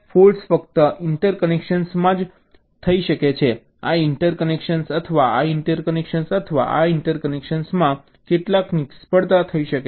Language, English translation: Gujarati, some failure can happen in this interconnection or this interconnection or this interconnection